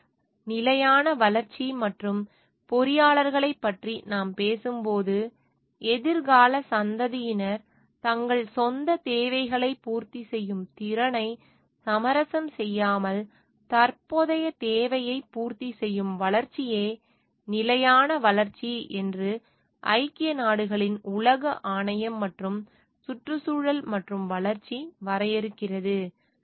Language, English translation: Tamil, So, when we talking of sustainable development and engineers, so United Nations World Commission and Environment and Development defines sustainable development as the development that meets the need of the present without compromising the ability of the future generations to meet their own needs